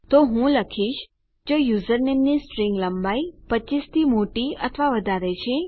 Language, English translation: Gujarati, So I will say if the string length of username is bigger or greater than 25...